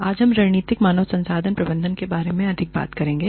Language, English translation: Hindi, Today, we will talk more about, Strategic Human Resource Management